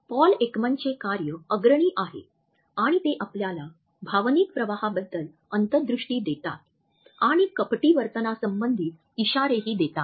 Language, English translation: Marathi, Paul Ekman's work is a path breaking work and it gives us insights into line emotional leakages of our emotions and also to the clues to deceitful behavior